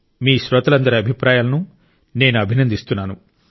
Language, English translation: Telugu, I appreciate these thoughts of all you listeners